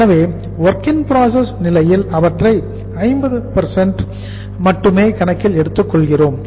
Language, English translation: Tamil, So the WIP stage we count them for only 50%